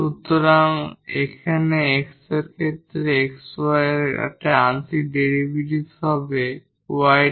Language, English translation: Bengali, So, here the partial derivative of xy with respect to x will be y dx and plus here will be x dy